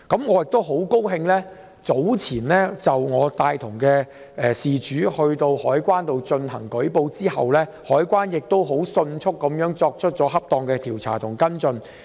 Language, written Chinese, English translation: Cantonese, 我很高興獲悉，早前我陪同事主到香港海關舉報後，海關迅速作出恰當的調查和跟進。, I am very glad to learn that after the victim accompanied by me had reported the case to the Customs and Excise Department CED the latter quickly conducted an appropriate investigation and follow - up